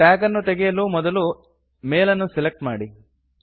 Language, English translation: Kannada, To remove the tag, first select the mail